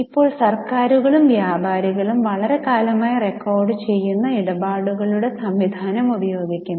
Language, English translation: Malayalam, Now, governments and merchants has been using the system of transactions recording for a very long time